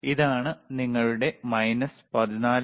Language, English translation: Malayalam, tThis is your minus 14